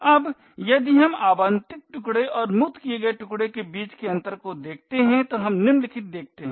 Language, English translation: Hindi, Now if we look at the difference between the allocated chunk and the freed chunk we see the following